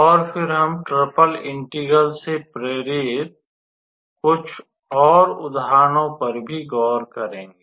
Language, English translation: Hindi, And then we will also look into some more examples motivated from triple integral